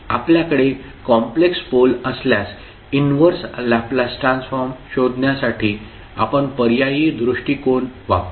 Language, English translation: Marathi, So, we will use an alternative approach to find out the inverse Laplace transform in case we have complex poles